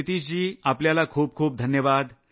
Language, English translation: Marathi, Nitish ji, plenty of plaudits to you